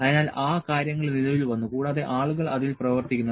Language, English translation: Malayalam, So, those things came into play and people are working on that